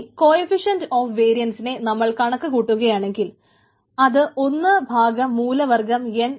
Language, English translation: Malayalam, so if we calculate that coefficient of variance, it is one by root n cv right